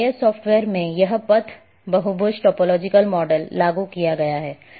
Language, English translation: Hindi, In GIS software’s this is path polygon topological models have been implemented